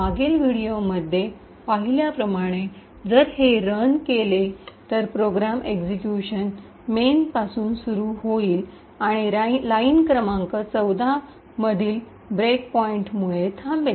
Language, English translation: Marathi, Now when we run it as we have seen in the previous video the program will execute starting from main and stop due to the break point in line number 14